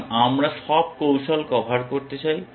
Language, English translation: Bengali, Because we want to cover all strategies